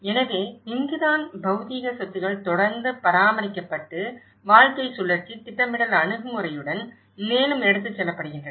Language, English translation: Tamil, So, this is where the physical assets are continuously maintained and taken further with a lifecycle planning approach